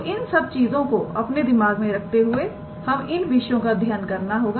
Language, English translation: Hindi, So, keeping those in mind we have to study these concepts